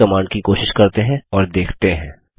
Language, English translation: Hindi, Let us try this command and see